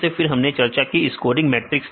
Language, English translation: Hindi, Then we try to discuss about the scoring matrices